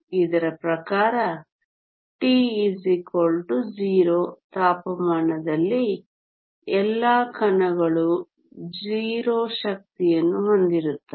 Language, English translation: Kannada, According to this at temperature t equal to 0 all the particles have 0 energy